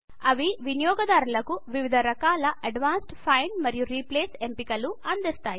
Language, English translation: Telugu, They provide users with various types of advanced find and replace options